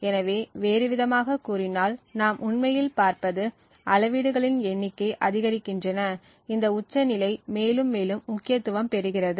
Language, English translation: Tamil, So, speaking in another words what we actually see is that as the number of power measurements increases, this peak becomes more and more prominent